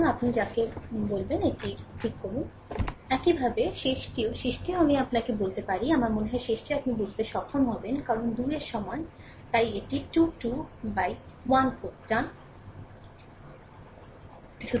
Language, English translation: Bengali, Similarly, last one also, last one shall I tell you I think last one also you will be able to understand, because n is equals to 3 so, it will be a 3 1 minus 1 4, right